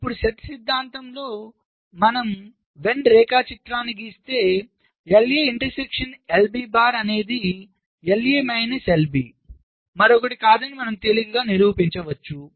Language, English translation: Telugu, now in set notation if you draw the when diagram you can easily prove that l a intersection l b bar is nothing but l a minus l b said difference